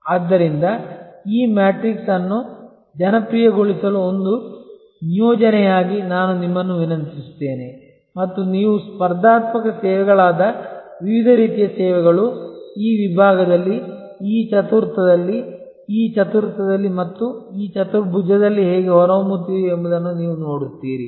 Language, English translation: Kannada, So, I would request you to as an assignment to populate this matrix and give me examples that how different types of services that you are competitive services, you see emerging in this segment, in this quadrant, in this quadrant and in this quadrant